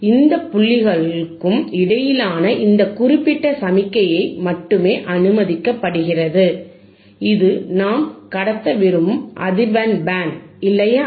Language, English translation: Tamil, O no signal in there can be allowed, only this particular signal between this point and this points are allowed; that means, this is the band of frequency that we can pass, alright